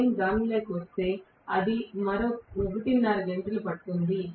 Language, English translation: Telugu, If I get into that, that will take up another one and a half hours